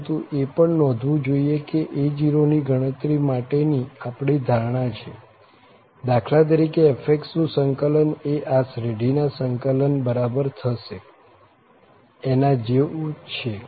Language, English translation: Gujarati, But, this should be noted here that this is our assumption for the computation of these a0 for instance, that this is equal, the integral of fx is equal to the integral of the series